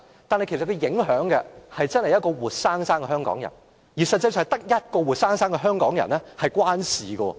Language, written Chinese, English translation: Cantonese, 但影響所及，卻是一位活生生的香港人，而實際上只是跟一位活生生的香港人有關。, It is certainly not unreasonable but it will affect one living Hong Kong citizen . In fact that decision is only related to one living Hong Kong citizen